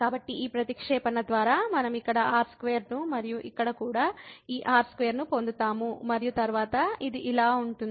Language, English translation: Telugu, So, by this substitution we will get here r square and here also this square and then this will be like limit goes to 0, this is sin r and here we have